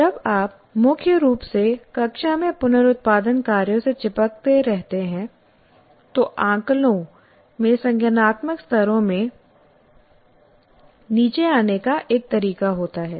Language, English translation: Hindi, And when you stick to the reproduction tasks mainly in the classroom, the assessments have a way of coming down the cognitive levels